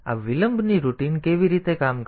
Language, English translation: Gujarati, Now, how this delay routine is working